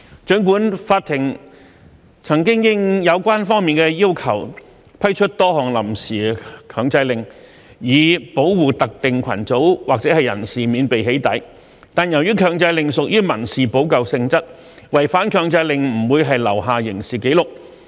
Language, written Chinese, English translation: Cantonese, 儘管法庭曾經應有關方面的要求，批出多項臨時強制令，以保護特定群組或人士免被"起底"，但由於強制令屬於民事補救性質，違反強制令並不會留下刑事紀錄。, While the court has granted a number of interim injunction orders to protect specific groups or persons from being doxxed upon the applications by relevant parties any breach of the injunction orders will not result in any criminal record as injunctions are by nature civil remedies . Meanwhile as the existing provisions under Cap